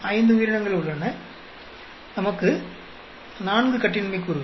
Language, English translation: Tamil, There are five organisms, we have 4 degrees of freedom